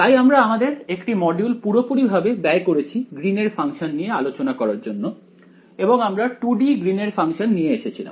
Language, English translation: Bengali, So, we spent an entire module talking about the Green’s function and we came up with the 2D Green’s function as here right